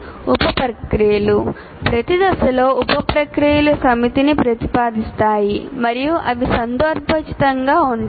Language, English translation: Telugu, The sub processes, now what happens is we will be proposing a set of sub processes in each phase and they are context dependent